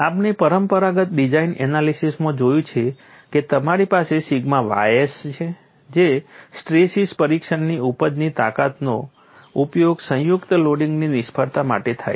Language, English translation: Gujarati, We have seen in conventional design analysis, you have sigma y s which is the yield strength from a tension test is used for failure of combine loading